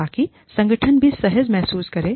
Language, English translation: Hindi, So, that the organization also feels, comfortable